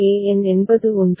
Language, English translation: Tamil, A n is 1